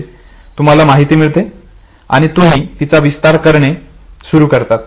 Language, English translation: Marathi, So, you receive the information and then you start elaborating it